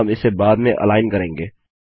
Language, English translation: Hindi, We can align it a bit later..